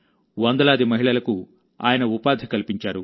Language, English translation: Telugu, He has given employment to hundreds of women here